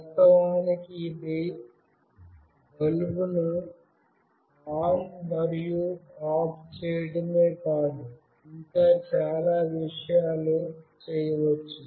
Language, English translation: Telugu, Of course, this is not only switching on and off bulb, there could be many more things that could be done